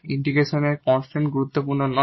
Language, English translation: Bengali, Just a note here, this constant of integration is not important